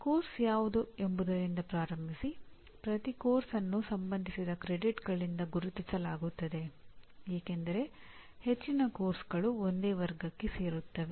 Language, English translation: Kannada, Starting with what a course is, every course is identified by the credits associated as majority of the courses fall into one of these categories